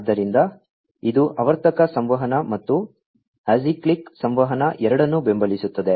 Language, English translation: Kannada, So, it supports both cyclic communication and acyclic communication